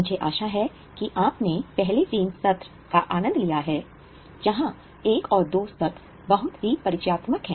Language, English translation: Hindi, I hope you have enjoyed first three sessions and first session one and two were very much introductory